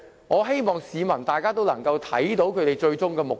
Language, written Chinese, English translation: Cantonese, 我希望市民能看清他們最終的目的。, I hope the public can see through their ultimate aim